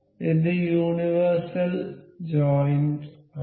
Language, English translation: Malayalam, So, this is universal joints